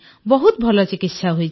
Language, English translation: Odia, It has been a great treatment